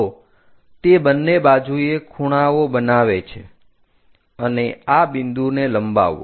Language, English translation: Gujarati, So, it makes equal angles on both sides, and this point extended